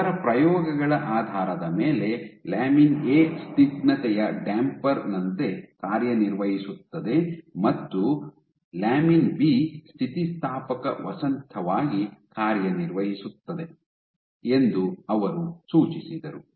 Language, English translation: Kannada, So, what it is also suggested so based on their experiments they suggested that lamin A acts like a viscous damper, and lamin B acts as a elastic spring